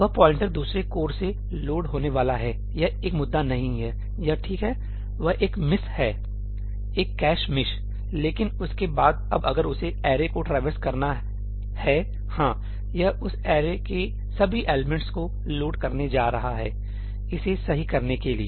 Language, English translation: Hindi, That pointer is going to get loaded by the other core that is not an issue, that is fine, that is one miss , one cache miss but after that now if it has to traverse the array, yes it is going to load all the elements of that array to process it, right